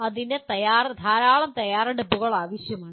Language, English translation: Malayalam, That requires lot of preparation